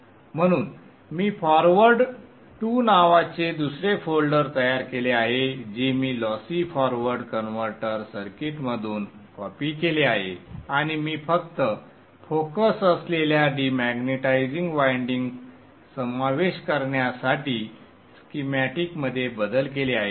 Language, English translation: Marathi, So I have created another folder called forward 2 which I have copied from the Lossi forward converter circuit and I have modified the schematic to include the de magnetizing winding that we just discussed